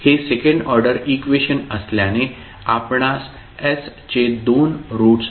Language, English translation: Marathi, So since it is a second order equation you will get two roots of s